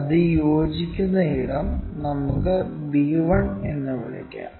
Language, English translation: Malayalam, Where it is going to intersect let us call b1